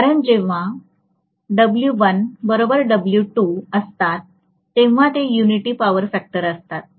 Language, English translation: Marathi, When W1 equal to W2 it will be unity power factor condition